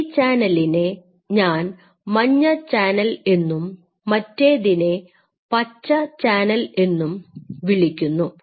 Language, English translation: Malayalam, So, this is one channel which I call this as a yellow channel and there is another channel, which we call this as a green channel